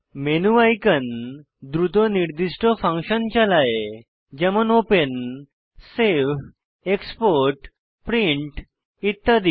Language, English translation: Bengali, The menu icons execute certain functions quickly for eg open, save, export, print etc